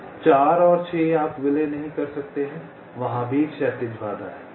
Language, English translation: Hindi, four and six: you cannot merge, there is a horizontal constraint